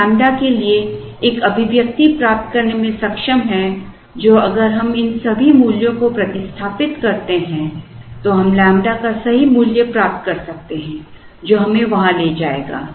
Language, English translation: Hindi, We are able to get an expression for lambda which if we substitute all these values we can get the correct value of lambda which would take us there